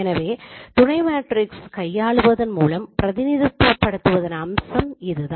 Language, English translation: Tamil, So one of the representation is that it could be two sub matrices